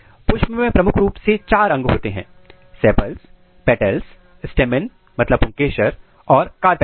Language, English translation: Hindi, In flower there are four organs mainly the sepals, petals, stamen and carpels